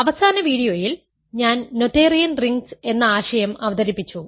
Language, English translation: Malayalam, In the last video I introduced the notion of Noetherian Rings